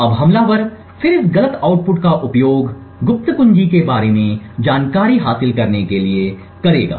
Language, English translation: Hindi, Now the attacker would then use this incorrect output to gain secret information about the secret key